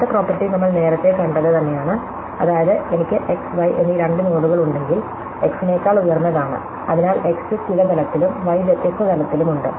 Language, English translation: Malayalam, The next property is exactly what we saw the earlier thing, which is that, if I have two nodes x and y, such that, x is higher than y, so x is at some level and y is different level